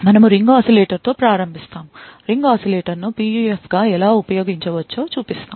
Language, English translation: Telugu, So, we will start with ring oscillator, we will show how ring oscillator can be used as a PUF